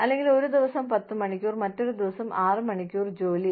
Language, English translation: Malayalam, Or, ten hours of work on one day, and six hours work on the other day